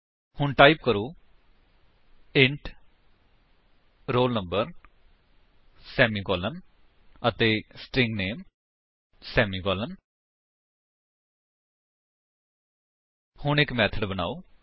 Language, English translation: Punjabi, So type int roll number semi colon and String name semicolon